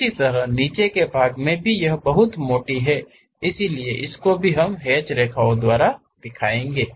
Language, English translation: Hindi, Similarly at basement it is very thick, so that also we represented by hatched lines